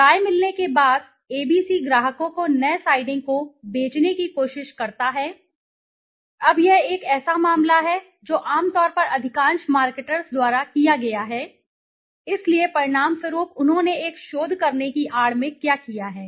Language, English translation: Hindi, After getting the opinions ABC tries to sell the customers the new siding, now this is a case which has generally been done by most of the marketers, so as a result what they have done in the guise of doing some research